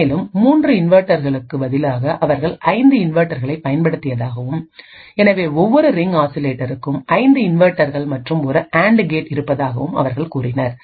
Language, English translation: Tamil, Further, they also said that instead of 3 inverters they had used 5 inverters, so one each ring oscillator had 5 inverters and an AND gate